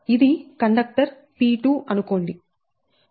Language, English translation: Telugu, so this is the conductor p two